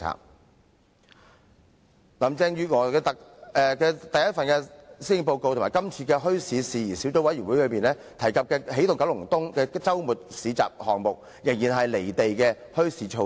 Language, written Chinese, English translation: Cantonese, 在林鄭月娥的首份施政報告及今次的墟市事宜小組委員會報告中，提及"起動九龍東"的周末市集項目，這仍然是"離地"的墟市措施。, In Carrie LAMs first policy address and in the Subcommittees report the weekend flea market organized by the Energizing Kowloon East Office was mentioned yet this bazaar measure is still out of touch with reality